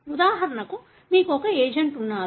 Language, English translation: Telugu, For example, you have some agent